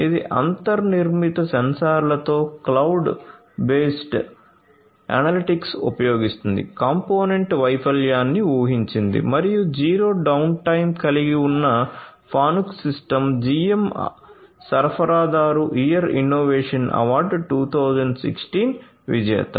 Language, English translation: Telugu, It uses cloud based analytics with built in sensors, predicts component failure and the zero downtime system that Fanuc has is the winner of the GM Supplier of the Year Innovation Award 2016